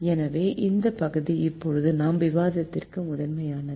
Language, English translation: Tamil, so this part is the primal for our discussion